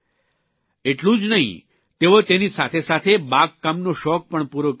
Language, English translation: Gujarati, On top of that she is also fulfilling her gardening hobby